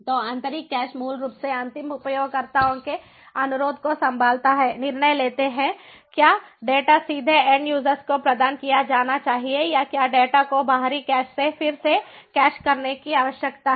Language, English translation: Hindi, so the internal cache basically handles the request from the end users, takes decision whether the data should be provided directly to the end user or is it required to re cache the data from the external cache